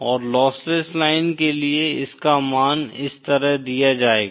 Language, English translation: Hindi, And for the lossless line, the value of, will be given like this